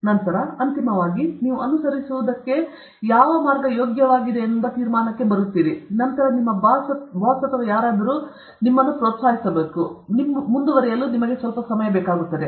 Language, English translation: Kannada, And then, finally, you have come to conclusion that this is worth pursuing; then your boss or who ever it is, must encourage you and give you sometime to pursue this